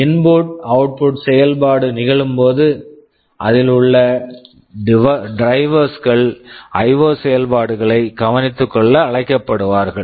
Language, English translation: Tamil, Whenever there is an input output operation it is the operating system, the drivers therein who will be invoked to take care of the IO operations